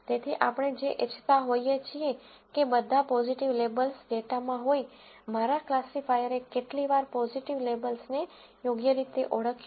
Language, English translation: Gujarati, So, what we are wanting is, of all the positive labels that were in the data, how many times did my classifier correctly identify positive labels